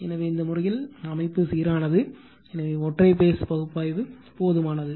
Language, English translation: Tamil, So, system is balanced, so single phase analysis is sufficient